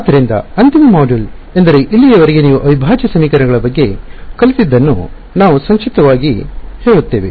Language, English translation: Kannada, So the final module is where we summarize what you have learnt about integral equations so far